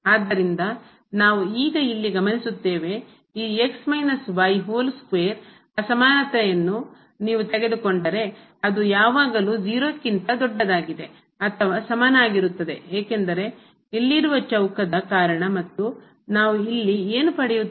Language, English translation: Kannada, So, we notice here now that if you take this inequality minus whole square which is always greater than or equal to 0 because of the square here and then what do we get here